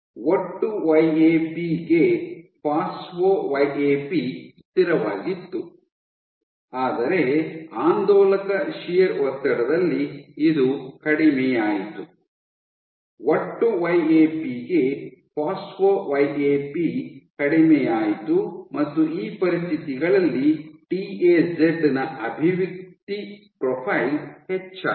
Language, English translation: Kannada, So, phospho YAP to total YAP was constant, but under oscillatory shear stress this decreased, phospho YAP to total YAP kind of decreased and under these conditions TAZ the expression profile of TAZ increased